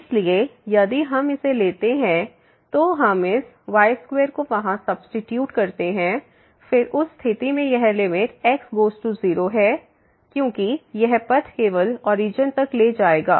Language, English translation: Hindi, So, if we take this we substitute this square there, then in that case this limit goes to 0 because this path will take to the origin only